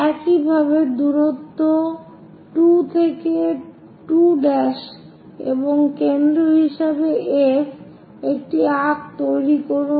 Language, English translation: Bengali, Similarly, as distance 2 to 2 prime and F as that make an arc